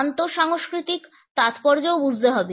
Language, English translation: Bengali, The cross cultural significance also has to be understood